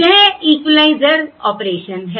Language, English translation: Hindi, This is the equaliser operation